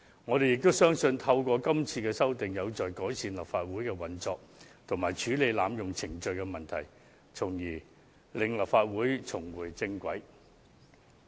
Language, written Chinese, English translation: Cantonese, 我們亦相信今次作出的修訂，將有助改善立法會的運作及處理濫用程序的問題，從而令立法會重回正軌。, We also trust that the such proposed amendments will be conducive to improving the operation of this Council as well as its ability of dealing with the problem of abuse of procedure by Members thereby steering the Council to return to the right track